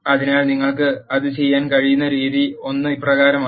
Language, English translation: Malayalam, So, the way you can do that is as follows